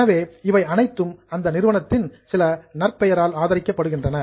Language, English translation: Tamil, So, all of these are backed by some goodwill of that company